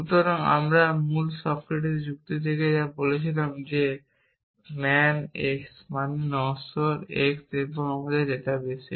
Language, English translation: Bengali, So, if we have our original Socratic argument which said that man x implies mortal x and in our database